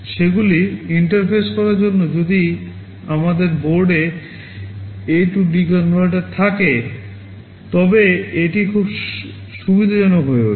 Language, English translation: Bengali, In order to interface them if we have an A/D converter on board it becomes very convenient